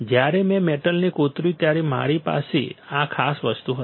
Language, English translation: Gujarati, When I etched the metal I will have this particular thing